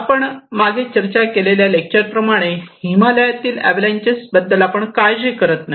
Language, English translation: Marathi, Like we discussed before in other lectures that if we have avalanches in Himalayas we do not care